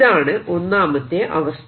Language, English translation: Malayalam, and the second situation